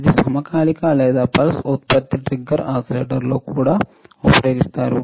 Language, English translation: Telugu, It is used as a synchronized or trigger oscillators also used in pulse generation